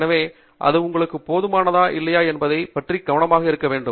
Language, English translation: Tamil, So, you need to be very careful whether this is adequate for you or not